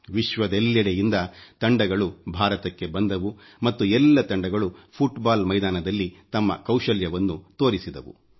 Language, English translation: Kannada, Teams from all over the world came to India and all of them exhibited their skills on the football field